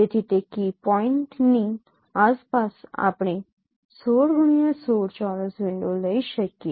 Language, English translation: Gujarati, So around that key point we can take a 16 cross 16 square window